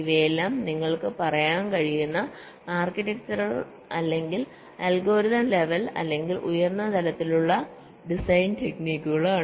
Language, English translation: Malayalam, ok, these are all architectural, or algorithmic level, you can say, or higher level design techniques